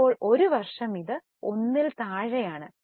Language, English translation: Malayalam, That means it becomes 1